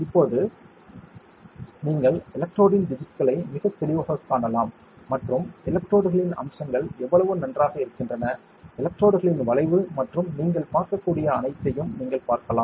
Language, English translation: Tamil, Now, you can see the digits of the electrode much more clearly and you can see the features of the electrodes how fine are they, the curvature of the electrodes and all you can see